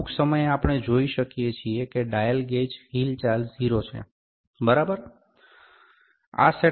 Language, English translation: Gujarati, So, at some point, we can see that the dial gauge movement should be 0, ok